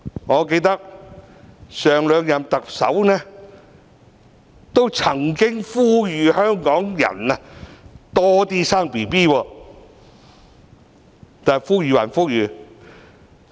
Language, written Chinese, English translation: Cantonese, 我記得上兩任特首都曾經呼籲香港人多生育，但呼籲歸呼籲......, I remember that the two former Chief Executives have called on Hong Kong people to have more children but despite all their calls Childbearing is hard but childcare is harder still